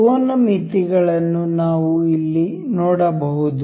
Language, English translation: Kannada, We can see here angle limits